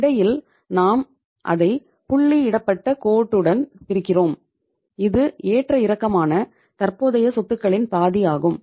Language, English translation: Tamil, In between we are dividing it with the with a dotted line and you call it as this is the half of the fluctuating current assets